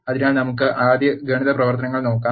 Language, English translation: Malayalam, So, let us first look at the arithmetic operations